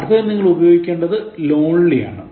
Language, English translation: Malayalam, In the next one, you should have used lonely